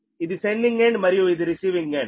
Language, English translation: Telugu, right, this is sending end and this is the receiving end